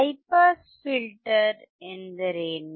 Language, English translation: Kannada, What does high pass filter means